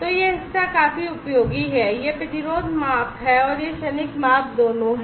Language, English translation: Hindi, So, this part is quite useful, both this resistance measurement and this transient measurement